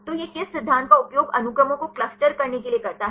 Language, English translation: Hindi, So, what principle it used for clustering the sequences